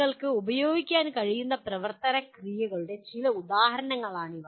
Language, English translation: Malayalam, These are some examples of action verbs that you can use